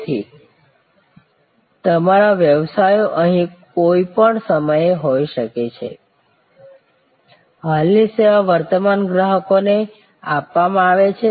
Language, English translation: Gujarati, So, all businesses are here at any point of time, existing service being offer to existing customers